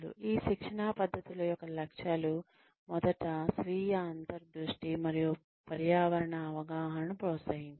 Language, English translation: Telugu, The objectives of these training methods are, first is promoting, self insight and environmental awareness